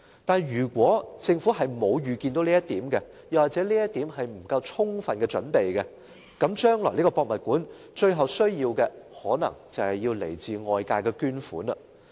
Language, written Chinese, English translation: Cantonese, 但是，如果政府沒有預見這一點或未就此作充分準備，故宮館最終可能需要來自外界的捐款。, But if the Government failed to foresee the cost or failed to make full preparation HKPM might eventually have to rely on donations from external parties